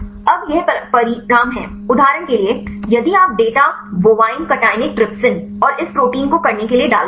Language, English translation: Hindi, Now, this is the result for example, if you put the data bovine cationic trypsin and this protein to right